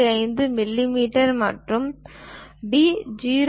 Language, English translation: Tamil, 5 millimeters and d is 0